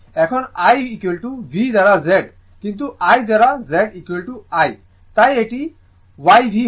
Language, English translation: Bengali, Now, I is equal to V by Z, but 1 by Z is equal to I; therefore, it will be YV